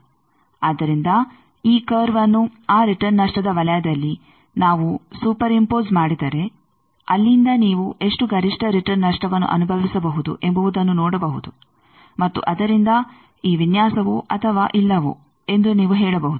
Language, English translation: Kannada, So, if we this curve if we super impose on that return loss given circle from there you can see how much maximum return loss you can suffer and from that you can say that whether this design is or not